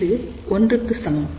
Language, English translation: Tamil, So, 1 divided by 1